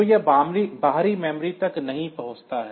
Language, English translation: Hindi, So, it does not access the external memory